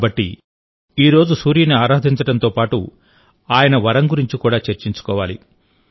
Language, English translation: Telugu, So today, along with worshiping the Sun, why not also discuss his boon